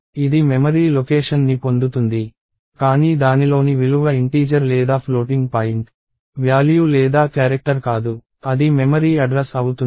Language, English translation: Telugu, It gets a memory location, but the value in that is not an integer or a floating point value or a character, it is going to be a memory address